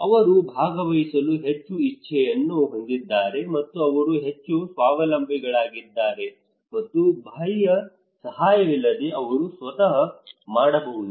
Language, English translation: Kannada, They have more willingness to participate, and they are more self reliant, and they can do by themselves without external help